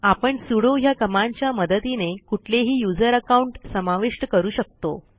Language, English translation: Marathi, We can add any user account with the help of sudo command